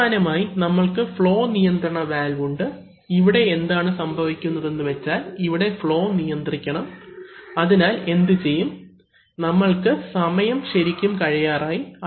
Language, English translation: Malayalam, So, lastly, we have a flow control valve, now what is happening here is that the, here we want to, we want to control flow, so you see okay, what we will do is, we are actually running out of time